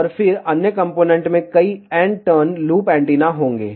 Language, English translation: Hindi, And then, the other components will consists of multiple n turn loop antenna